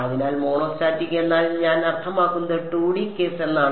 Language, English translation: Malayalam, So, monostatic means I means the 2 D case